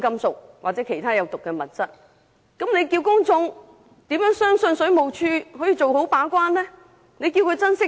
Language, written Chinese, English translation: Cantonese, 這樣一來，試問公眾怎能相信水務署可做好把關工作？, In that case how can the public have any confidence in the water quality control of WSD?